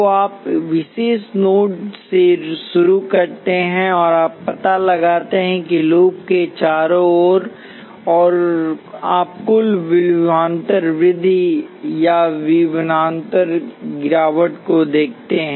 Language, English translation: Hindi, So you start from particular node and trace your way around the loop and you look at the total voltage rise or voltage fall